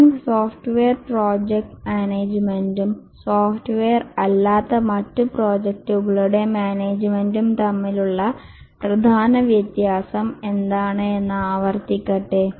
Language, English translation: Malayalam, Let me just repeat that what is the main difference between software project management and management of other projects, non software projects